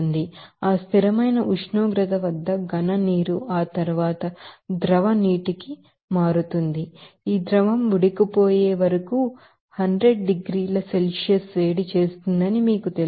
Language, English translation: Telugu, So, at that constant temperature, the solid water will be converting to the liquid water after that, you know that this liquid will be you know heated up 100 degrees Celsius till it boils